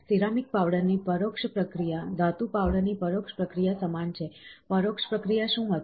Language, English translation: Gujarati, The indirect processing of ceramic powder is identical to indirect processing of metal powder, what was the indirect way